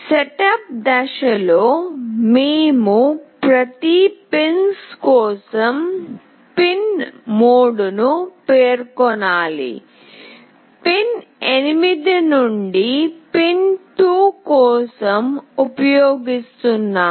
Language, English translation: Telugu, In the setup phase, we have to specify the pin mode for each of the pins, we are using pin 2 to pin 8